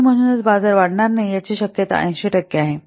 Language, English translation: Marathi, So, the probability that it will not be expanded as 80 percent